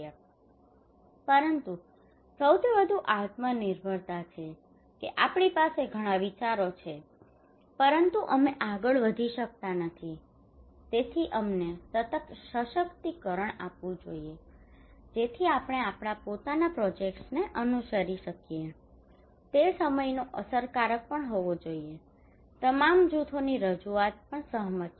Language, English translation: Gujarati, Ownership; but most is the self reliance we have many ideas but we cannot pursue so we should be empowered so that we can follow our own projects, it should be also time effective and representation of all groups is agreed